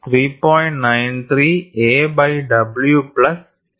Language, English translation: Malayalam, 93 a by w plus 2